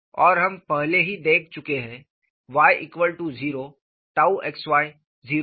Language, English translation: Hindi, And we have already looked at, on the y equal to 0, tau xy is 0